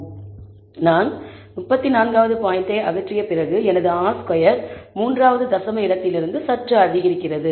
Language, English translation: Tamil, So, after I remove the 34th point my R squared slightly increases; that is also from the 3rd decimal place